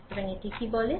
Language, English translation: Bengali, So, what it states